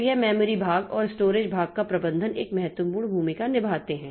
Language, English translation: Hindi, So, this memory part and the storage part, their management plays a significant role